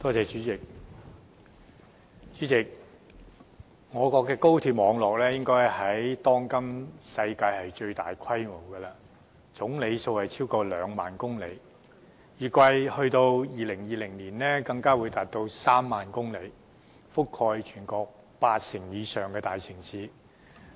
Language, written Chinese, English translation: Cantonese, 主席，我國高鐵網絡應是當今世上最大規模的，全長超過兩萬公里，預計到2020年更會擴展至3萬公里，覆蓋全國八成以上的大城市。, President our national high - speed rail network is nowadays the worlds largest in scale spanning a total distance of over 20 000 km―30 000 km after a further extension expected by 2020―and covering over 80 % of the major cities in the country